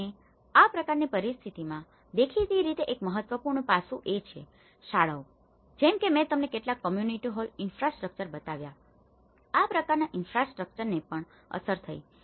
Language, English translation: Gujarati, And in such kind of situations, obviously one of the important aspect is the schools like as I showed you some community hall infrastructure; even these kind of infrastructure has been affected